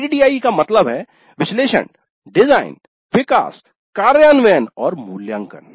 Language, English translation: Hindi, ADE stands for analysis, design, development, implement and evaluate